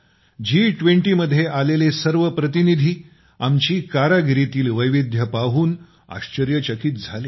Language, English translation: Marathi, Every representative who came to the G20 was amazed to see the artistic diversity of our country